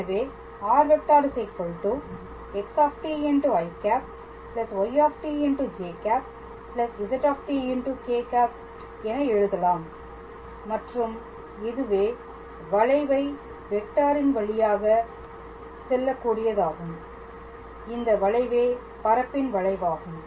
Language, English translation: Tamil, So, we write x t i y t j and z t k and this is in a way how to say a way to write a curve in terms of vector and that curve is actually a curve in space